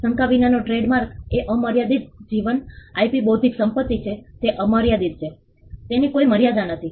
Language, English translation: Gujarati, The trademark without doubt is an unlimited life IP intellectual property it is unlimited there is no limit to it